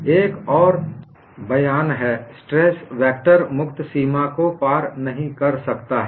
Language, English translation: Hindi, And another statement is stress vector cannot cross the free boundary